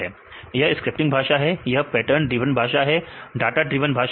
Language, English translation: Hindi, pattern It is a scripting language, it is the pattern driven language right, data driven language